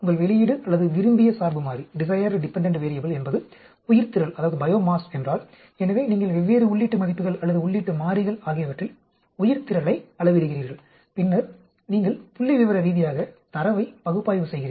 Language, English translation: Tamil, If your output or desired dependent variable is biomass, so you measure biomass at different input values or input variables, then you statistically do the analysis of the data